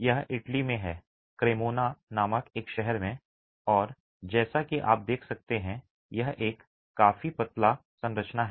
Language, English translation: Hindi, This is in Italy in a town called Cremona and as you can see it's a fairly slender structure